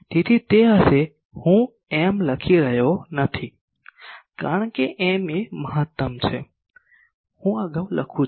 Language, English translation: Gujarati, So, that will be I am not writing m because m is a maximum of that, I am writing in an earlier